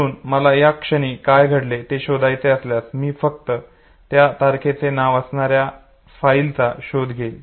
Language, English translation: Marathi, So if I have to find out what happens at this point in time, I just search for the file name that has to do with this date